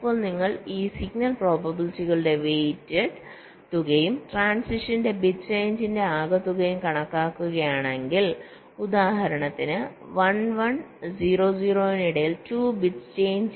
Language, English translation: Malayalam, now if you calculate the weighted sum of this signal probabilities and the sum of the bit changes across transitions, like you see, two, between one, one and zero, zero, two bits change and what is the total probability